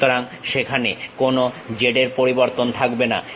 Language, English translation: Bengali, So, there will not be any z variation